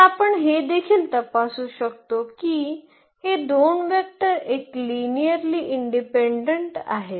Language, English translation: Marathi, So we can check here also that these 2 vectors are linearly independent